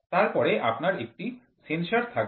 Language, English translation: Bengali, Then you will have a sensor